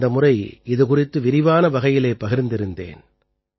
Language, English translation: Tamil, I had also discussed this in detail last time